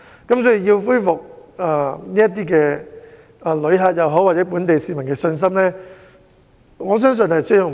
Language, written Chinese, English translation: Cantonese, 若要恢復旅客或市民的信心，我相信需時甚久。, I believe it will take a long time to restore the confidence of tourists or people